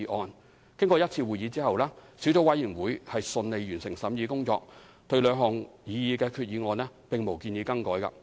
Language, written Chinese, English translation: Cantonese, 小組委員會舉行一次會議，順利完成審議工作，對兩項擬議決議案並無建議更改。, The Subcommittee has completed the scrutiny smoothly after holding one meeting and has not proposed any amendments to the two proposed resolutions